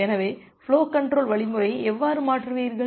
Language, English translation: Tamil, So, how will you tune the flow control algorithm